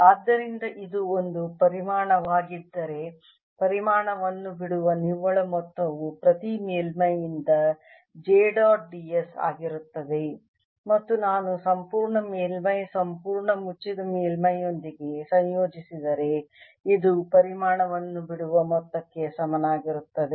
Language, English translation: Kannada, and it is directional, so it also plus the direction of it, so it flow in certain directions, so that if this is a volume, the net amount leaving the volume would be j dot d s from each surface and if i integrate over the entire surface, entire closed surface, this is going to be equal to the amount leaving the volume